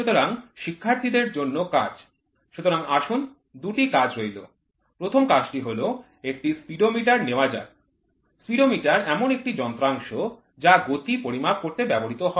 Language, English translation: Bengali, So, task for students: So, let us take two tasks, the first task is let us take a Speedometer; Speedometer is a device which is used to measure the speed which is used or we can we call it as Odometer which is used in bikes